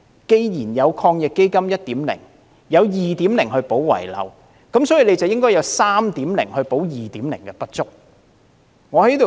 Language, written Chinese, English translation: Cantonese, 既然抗疫基金的第一輪措施，有第二輪來補漏拾遺，因此，亦應該有第三輪措施來彌補第二輪的不足。, Since the second round of AEF measures aims at filling the omissions in the first round of AEF there should be a third round of measures to fill the omissions in the second round